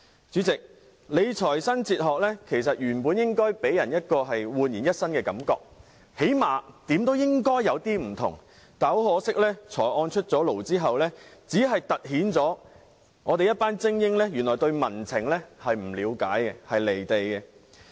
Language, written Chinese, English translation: Cantonese, 主席，理財新哲學原本應該予人煥然一新的感覺，最低限度也要稍有不同，但很可惜，財政預算案出爐後，只凸顯了政府的一群精英對民情不了解、離地。, Chairman a new philosophy of financial management should give people a refreshing feeling or at the very least be slightly different from that in the past . Unfortunately the Budget has only highlighted the fact that the elites in the Government were unaware of public sentiments and disconnected with the reality